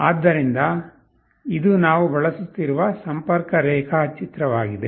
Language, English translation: Kannada, So, this is the connection diagram that we will be using